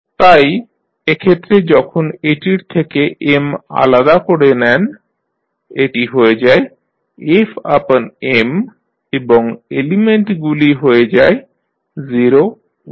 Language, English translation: Bengali, So, in that case when you take M out it will become f by M and the elements will be 0, 1